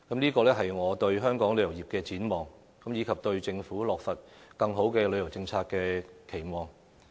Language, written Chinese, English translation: Cantonese, 這個是我對香港旅遊業的展望，以及對政府落實更好的旅遊政策的期望。, These are my expectations for the tourism industry of Hong Kong as well as my expectations for the implementation of a better tourism policy by the Government